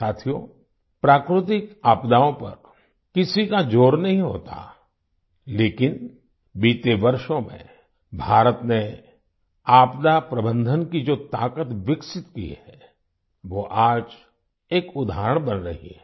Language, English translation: Hindi, Friends, no one has any control over natural calamities, but, the strength of disaster management that India has developed over the years, is becoming an example today